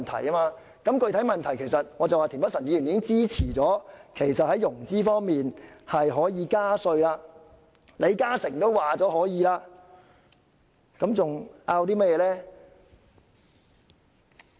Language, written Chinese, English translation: Cantonese, 就着具體的問題，田北辰議員已經支持在融資方面加稅，連李嘉誠也說可以，還爭拗甚麼呢？, Regarding the specific issues Mr Michael TIEN has already expressed his support for increasing the tax rate in respect of financing . Even LI Ka - shing said it would do . What else is there to argue about?